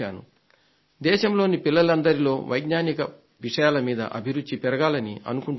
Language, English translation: Telugu, I want that kids in our country should develop more and more interest in science